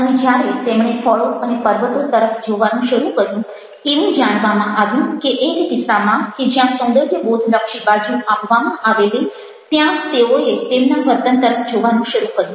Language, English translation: Gujarati, and when they started looking at the fruits and the mountains, it was found that in one case, where the aesthetic side was being given, they started looking, their behavior